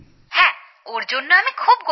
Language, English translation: Bengali, I feel very proud of him